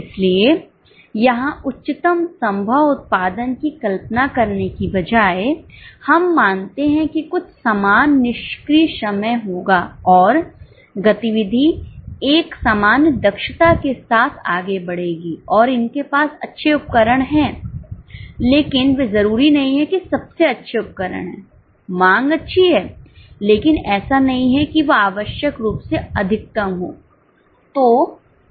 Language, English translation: Hindi, So, instead of assuming the highest possible production, here we assume that there will be some normal idle time and activity will proceed with a normal efficiency and there are good equipments but they are not necessarily the best equipment the demand is good but is not necessarily the maximum so these are the normal standards which are set for normal conditions